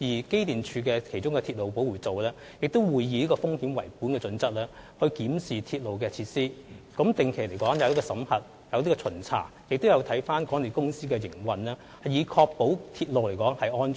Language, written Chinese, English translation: Cantonese, 機電署的鐵路保護組亦會以風險為本的準則來檢視鐵路的設施，進行定期的審核及巡查，以及檢視港鐵的營運，以確保鐵路的安全。, To ensure railway safety apart from the risk - based inspection of railway facilities EMSDs railway protection team will also carry out regular audits and surveillance visits and examine the operation of MTRCL